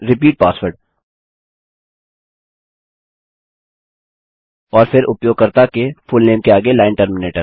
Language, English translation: Hindi, Then repeat password and then fullname of the user followed by the line terminator